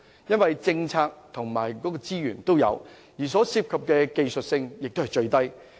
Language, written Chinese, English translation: Cantonese, 因為政策及資源也有，所涉及的技術性也是最低。, We have both the policy support and the necessary resources in place . The proposal is also easiest to implement technically